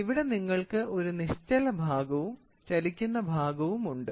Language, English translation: Malayalam, So, you have a fixed jaw and a moving jaw